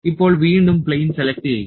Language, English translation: Malayalam, Now, again select the plane